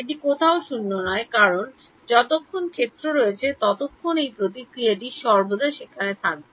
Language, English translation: Bengali, It will be not be non zero anywhere because as long as there is a field this response is always going to be there